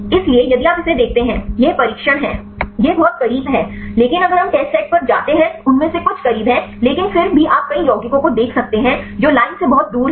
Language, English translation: Hindi, So, if you see this one; this is the training this is very close, but if we go to the test set some of them are close, but even then you can see several compounds which are far away from the line